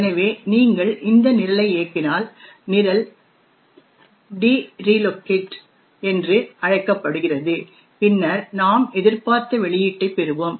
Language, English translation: Tamil, So, if you run this program, the program is called dreloc then we would get expected output